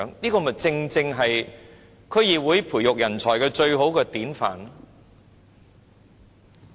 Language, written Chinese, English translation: Cantonese, 這正正是區議會培育人才的最好典範。, This is precisely the best model of nurturing of talents by DCs